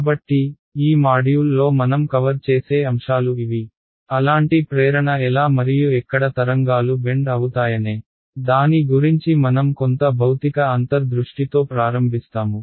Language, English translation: Telugu, So, these are the topics that we will cover in this module, we’ll start with some physical intuition about how and where wave seem to bend that such the motivation